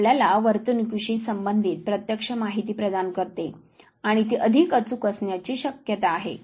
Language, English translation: Marathi, It provides you a great deal of firsthand behavioral information and it is likely to be a more accurate